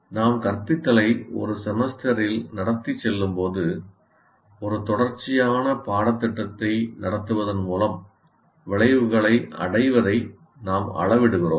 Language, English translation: Tamil, So we are conducting instruction and as we go along in a semester, we keep measuring the attainment of outcomes